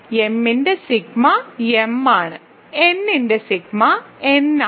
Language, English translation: Malayalam, So, sigma of m is m sigma of n is n